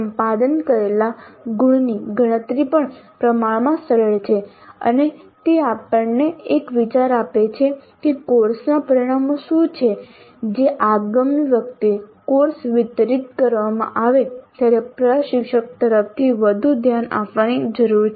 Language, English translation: Gujarati, So computing the attainment level is also relatively simple and it does give as an idea as to which are the course outcomes which need greater attention from the instructor the next time the course is delivered